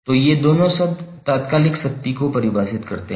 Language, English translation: Hindi, So these two terms are defining the instantaneous power